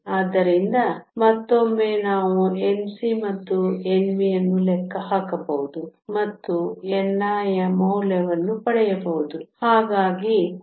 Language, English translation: Kannada, So, once again we can calculate N c and N v plug it back in and get the value of n i